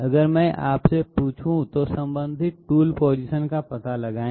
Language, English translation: Hindi, If I ask you, find out the corresponding tool positions